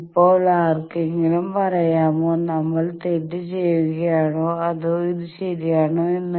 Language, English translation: Malayalam, Now can anyone tell me that are we making mistake or this is ok